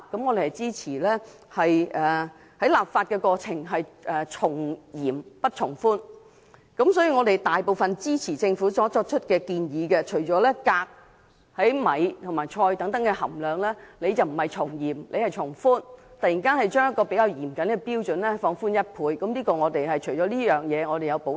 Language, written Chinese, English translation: Cantonese, 我們支持在立法過程中從嚴不從寬，故支持政府的大部分建議，但對米和菜中的鎘含量，政府卻從寬不從嚴，突然把較嚴謹的標準放寬一倍，我們對此有所保留。, We support most of the proposals made by the Government as we think that the regulation should be more stringent . However we have reservations about the level of cadmium in rice and vegetables for which the Government has relaxed the current level standard by double